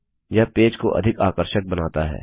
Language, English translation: Hindi, This makes the page look more attractive